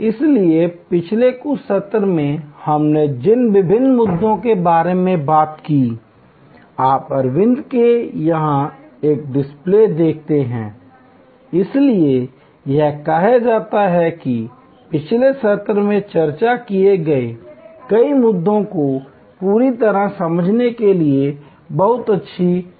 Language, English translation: Hindi, So, all the different issues that we have talked about in some of the previous sessions, you see a display here at Aravind, so it is say, very good case study to fully understand many of the issues that we have discussed in the previous sessions